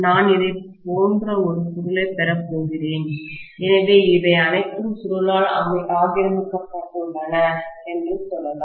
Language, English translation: Tamil, I am going to have one coil like this, so this is all occupied by the coil let us say, right